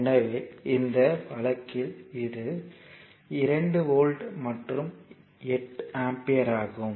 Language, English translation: Tamil, So, in this case it is 2 volt and 8 ampere